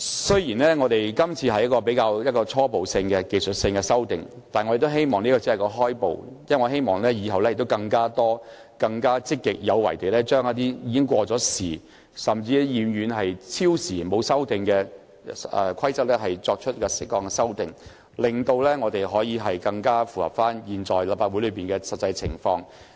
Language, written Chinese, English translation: Cantonese, 雖然今次的修訂是比較初步及技術性，但我希望這是一個起步，以後我們可更積極有為地對一些已過時、久久沒有修訂的規則，作出適當的修訂，令《議事規則》更能應對現時立法會內的實際情況。, Though the present amendments are rather preliminary and technical in nature I hope that they can serve as the first step such that we can proactively propose appropriate amendments to certain outdated rules that have not been amended for a long time thereby enabling RoP to better cope with the actual circumstances of the present Legislative Council